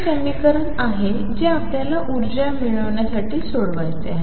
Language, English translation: Marathi, This is the equation that we have to solve to get the energies